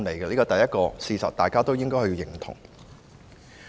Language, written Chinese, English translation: Cantonese, 這是事實，大家也應該認同。, This is a fact that should be recognized by all